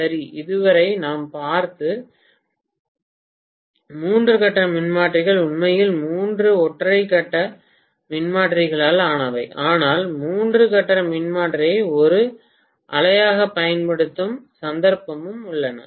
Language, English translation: Tamil, Okay, So far what we had seen was the three phase transformers that are actually made up of three single phase transformers but there are cases where we use a three phase transformer as a single unit